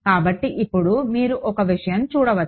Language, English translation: Telugu, So, now, you can see one thing